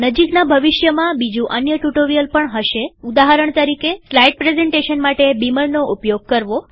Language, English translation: Gujarati, There will also be other tutorial in the near future, for example, beamer for slide presentation